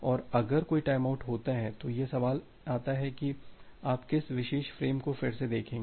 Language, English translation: Hindi, And if a timeout occurs then the question comes that which particular frame you will retransmit